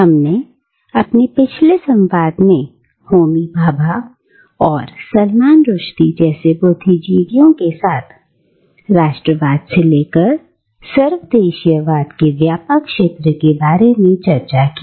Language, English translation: Hindi, We had ended our previous discussion by saying that with intellectuals like Homi Bhabha and Salman Rushdie, we move from the confines of nationalism to the wider field of cosmopolitanism